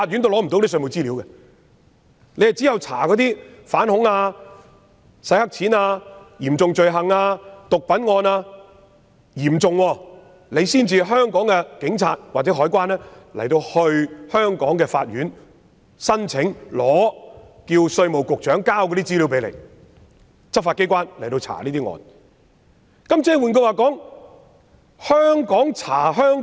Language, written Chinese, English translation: Cantonese, 只有在調查反恐、洗黑錢、嚴重罪行及毒品等嚴重案件時，香港的警察或海關才能向香港的法院提出申請，要求稅務局局長交出稅務資料，讓執法機關展開調查。, Only for the investigation of serious crimes such as terrorist acts money laundering serious crimes and drug trafficking can the Police or CED of Hong Kong apply to the local courts to request the Commissioner to provide tax information for investigation by the law enforcement agencies